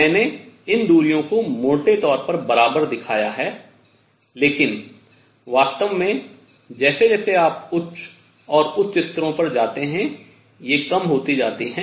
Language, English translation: Hindi, These distances I have shown to be roughly equal, but in reality as you go to higher and higher levels, they become smaller